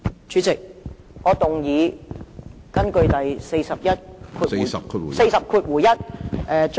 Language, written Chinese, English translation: Cantonese, 主席，我根據《議事規則》第 41......, President I move the motion under Rule 41 of the Rules of Procedure